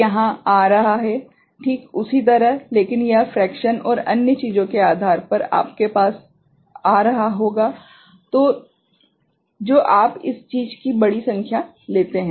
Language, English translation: Hindi, Here it is coming exactly the same ok, but it will be coming close depending on the fraction and other things you take large number of this thing